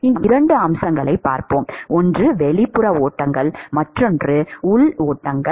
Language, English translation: Tamil, And here we will look at two aspects, one is the external flows and internal flows